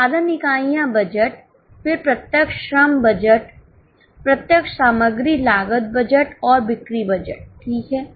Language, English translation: Hindi, So, all these budgets are required, production units budget, then direct labour budget, direct material cost budget and the sale budget